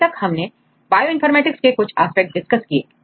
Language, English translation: Hindi, So, till now we discussed few aspects of Bioinformatics